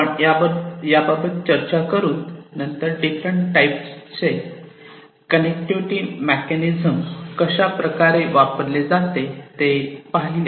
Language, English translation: Marathi, We started with that then we talked about in length, we talked about the different types of connectivity mechanisms, that could be used